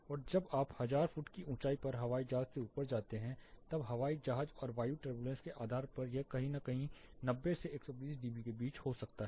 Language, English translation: Hindi, And as you go up air plane at 1000 foot height you will still be able to find depending on the air craft and the turbulence’s it can be somewhere between 90 to 120 dB